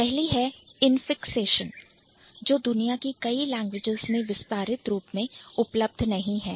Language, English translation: Hindi, One is the infixation which is not really widely available in many of the world's languages